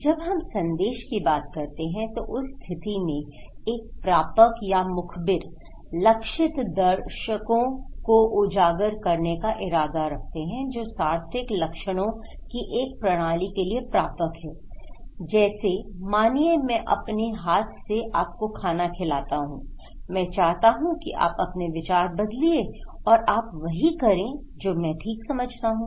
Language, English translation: Hindi, When we say message okay, in that case, a receiver or the informer they intend to expose the target audience that is a receiver to a system of meaningful symptoms like I want you to spoon feed, I want you to change your mind okay, is simply that I want to brainwash you, I want you to do what I think okay